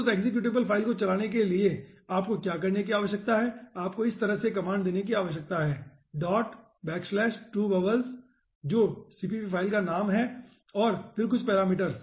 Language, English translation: Hindi, to run that executable file, what you need to do, you need to give a command like this: dot slash, two bubbles that is the name of the cpp file and then few parameters